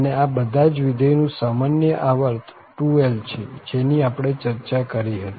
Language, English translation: Gujarati, So, here the common period of all these functions is 2l this is what we have discussed